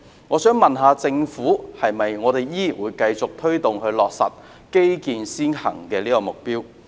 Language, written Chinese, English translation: Cantonese, 我想問問政府，會否繼續推動落實基建先行這個目標？, I would like to ask the Government if it will continue to promote and realize the goal of achieving transport infrastructure - led development